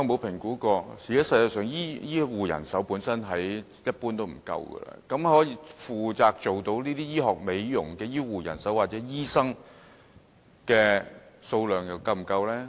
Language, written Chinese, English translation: Cantonese, 現時全球醫護人手普遍不足，局長有否評估可以負責進行這些醫學美容程序的醫護人手或醫生是否足夠呢？, Shortage of HCPs has become a global phenomenon . Has the Secretary assessed whether there is an adequate supply of HCPs to perform these medical procedures for cosmetic purposes?